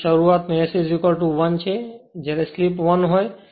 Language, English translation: Gujarati, So, at start S is equal to 1 when slip is equal to 1